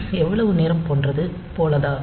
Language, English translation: Tamil, So, like how much time